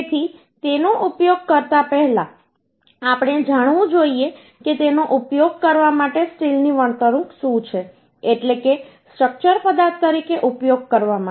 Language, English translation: Gujarati, So before going to use uhh that we must know what are the behavior of the steel uhh for using, that means for using as a structural material like steel